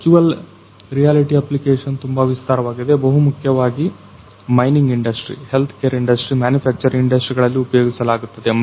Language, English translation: Kannada, So, virtual reality application is very wide it is mainly used in the industry mining industry, healthcare industry and manufacturing industry